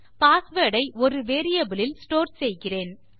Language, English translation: Tamil, We are going to store the password in a variable here